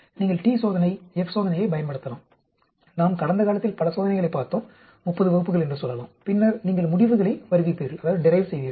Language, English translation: Tamil, You may use T test, F test, we looked at so many tests in the past, say about 30 classes and then you derive conclusions